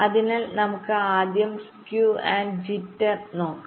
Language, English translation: Malayalam, ok, so let us look at skew and jitter first